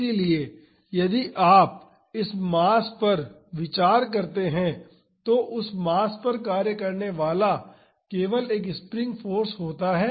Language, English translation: Hindi, So, if you consider this mass there is only a spring force acting on that mass